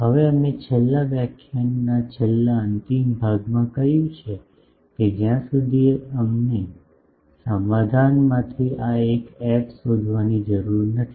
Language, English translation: Gujarati, Now, we said in the last concluding part of the last lecture that, till we need to find this f from the solution